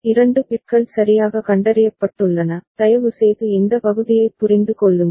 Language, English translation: Tamil, That 2 bits are properly detected, please understand this part